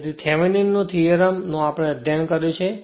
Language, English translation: Gujarati, So, thevenins theorem we have studied